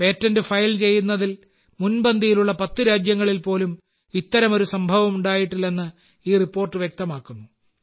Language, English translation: Malayalam, This report shows that this has never happened earlier even in the top 10 countries that are at the forefront in filing patents